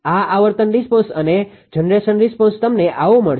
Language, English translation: Gujarati, This frequency response and generation response you will get like this ah will